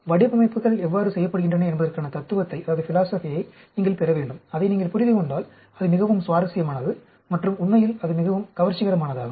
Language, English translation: Tamil, You should get the philosophy of how the designs are done and if you understand it, it is extremely interesting and very fascinating actually